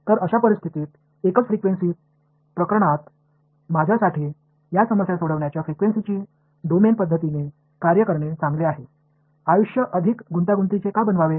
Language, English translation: Marathi, So in that case so single frequency case, it is better for me to work with a frequency domain way of solving these problems; why make life more complicated